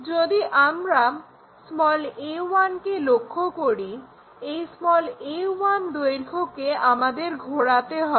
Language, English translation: Bengali, If, we are looking a 1, this a 1 length we have to rotate it